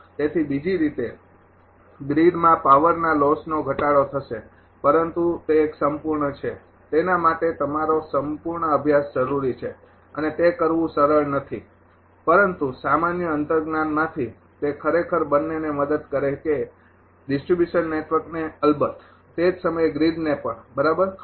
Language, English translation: Gujarati, So, in other way there will be reduction in the power loss in the grid, but that is a total your completes ah studies required for that and it is not easy to do that, but from general intuition it helps actually both distribution network of course, at the same time it grids right